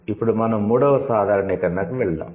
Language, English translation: Telugu, Now let's move to generalization 3